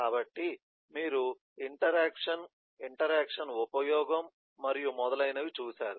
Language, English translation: Telugu, so you have seen interaction, interaction use and so on